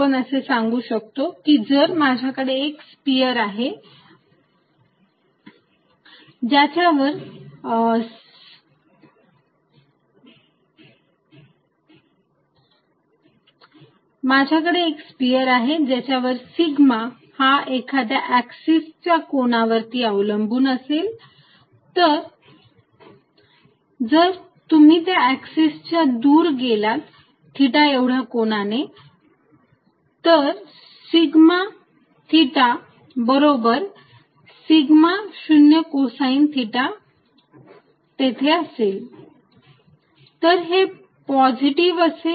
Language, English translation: Marathi, We conclude that if I have a sphere over which sigma depends on the angle from some axis, some axis if you go away by an angle theta, if sigma theta is sigma 0 cosine of theta